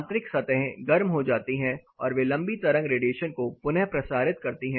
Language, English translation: Hindi, The internal surfaces get heated up and they reemit long wave radiation